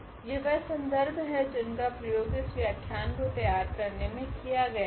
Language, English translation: Hindi, So, here these are the references here we have used for preparing the lectures